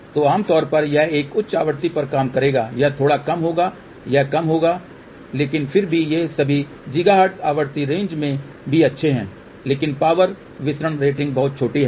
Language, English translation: Hindi, So, in general this one will work at a higher frequency this one little lower this will lower, but still these are all good even in the gigahertz frequency range but the power dissipation rating is very very small